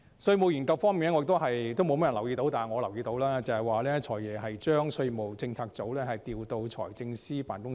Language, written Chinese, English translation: Cantonese, 稅務研究方面，沒有多少人留意到，但我留意到，"財爺"將稅務政策組調配到財政司司長辦公室內。, Regarding tax studies not many people have noticed but I have that FS has transferred the Tax Policy Unit to the FSs Office